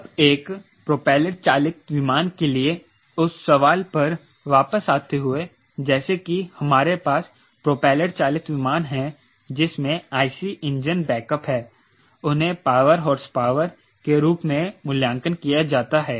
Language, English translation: Hindi, now, coming back to that question, for a propeller driven aircraft, like we have propeller driven aircraft with i c engine, back up they are rated as power, horsepower, right, what is that